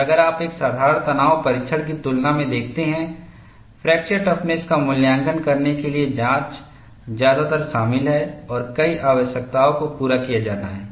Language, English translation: Hindi, And if you look at, in comparison to a simple tension test, the test to evaluate fracture toughness is more involved and several requirements have to be met